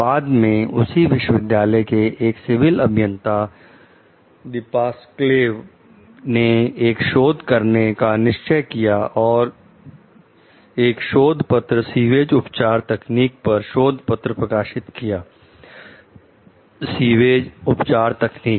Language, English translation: Hindi, Later, Depasquale, a professor of civil engineering at the same university, decides to conduct research and publish a paper on sewerage treatment technology; sewage treatment technology